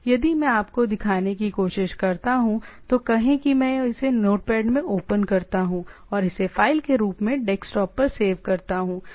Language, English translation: Hindi, Say if I try to show you, say I open it in a note pad and save it file save as, so I saved it on the desktop